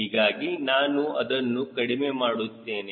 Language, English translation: Kannada, so i am reducing it right